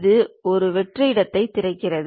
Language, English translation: Tamil, It opens a blank space